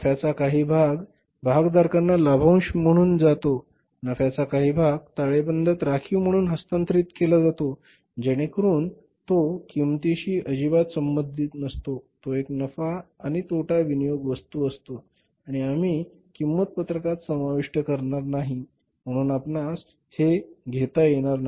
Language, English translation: Marathi, Part of the profit goes to the shareholders as dividend, part of the profit is transferred to the balance sheet as reserves so it is not at all related to the cost it is a profit and loss appropriation item and we will not include in the cost sheet anymore